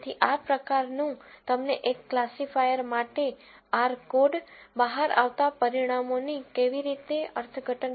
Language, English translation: Gujarati, So, this kind of, gives you an idea of how to interpret the results that come out of, a R code, for a classifier